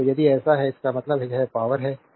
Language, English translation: Hindi, So, if it is so; that means, it is power